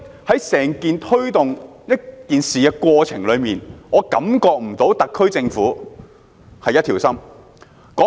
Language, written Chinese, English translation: Cantonese, 所以，在推動這件事的整個過程中，我感覺不到特區政府一條心。, Therefore throughout the progression of this matter I do not feel the SAR Government being united as one